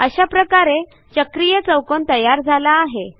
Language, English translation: Marathi, Let us construct a cyclic quadrilateral